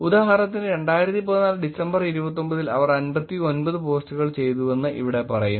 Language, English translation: Malayalam, For example, here it says in December 29 2014 they did 59 posts